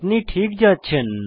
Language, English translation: Bengali, You are good to go